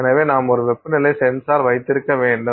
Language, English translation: Tamil, So, you have to have a temperature sensor there